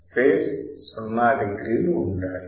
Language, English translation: Telugu, The phase should be 0 degrees